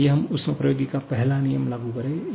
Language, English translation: Hindi, Now, is it satisfying the first law of thermodynamics